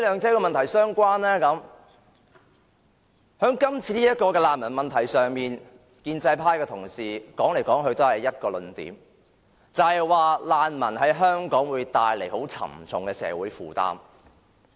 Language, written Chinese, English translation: Cantonese, 在今次的難民問題上，建制派同事說來說去也只是一個論點，就是指難民會為香港帶來沉重社會負擔。, With regard to the refugee problem under discussion there is only one point in the argument presented by colleagues from the pro - establishment camp no matter how they put it and that is the problem of refugees will create a heavy social burden for Hong Kong